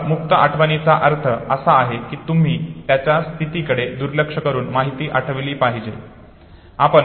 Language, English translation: Marathi, So free recall basically means that you are suppose to recall the information regardless of its position